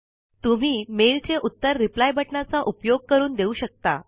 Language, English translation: Marathi, You can reply to this mail, using Reply button